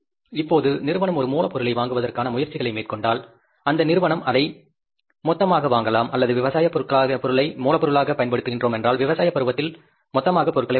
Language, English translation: Tamil, Now if the company makes efforts for purchasing of raw material, maybe you can purchase it in bulk, or if we are using the agricultural material as the raw material, you can purchase the material in bulk during the season of the agriculture